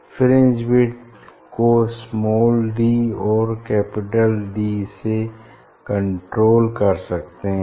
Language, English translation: Hindi, fringe width is controlled by d small d and capital D